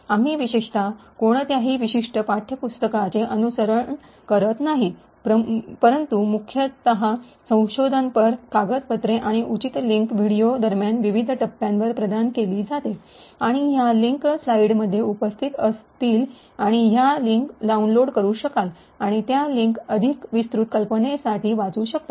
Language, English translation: Marathi, in particular, but mostly research papers and appropriate links would be provided at various stages during the videos and these links would be present in the slides and you could actually download these links and read those links to get more details about the concepts